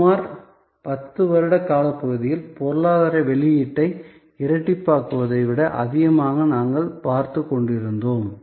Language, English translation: Tamil, So, we were looking at more than doubling in the economic output over a span of about 10 years